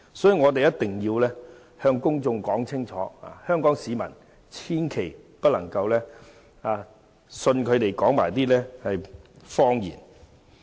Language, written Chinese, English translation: Cantonese, 所以，我一定要向公眾說清楚，香港市民千萬不能相信他們所說的謊言。, I therefore have to state clearly to the public that the people of Hong Kong should never believe their lies